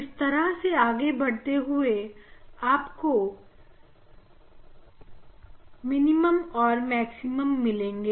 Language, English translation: Hindi, And, if you proceed you will get minima you have maxima